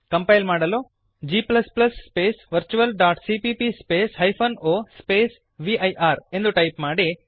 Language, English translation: Kannada, To compile type: g++ space virtual.cpp space o space vir